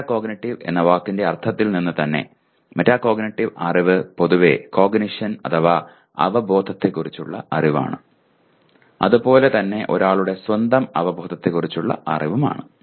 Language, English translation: Malayalam, Metacognitive knowledge by the very word meta cognitive is a knowledge about cognition in general as well as the awareness of and knowledge about one’s own cognition